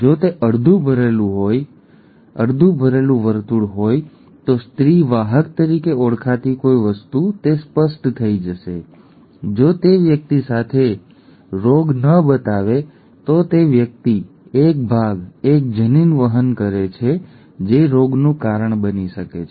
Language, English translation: Gujarati, If it is a half filled circle then something called a female carrier, it will become clearer, if the person does not show the disease with person carries a part one allele which can cause the disease